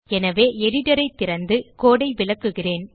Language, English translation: Tamil, So, Ill open the editor and explain the code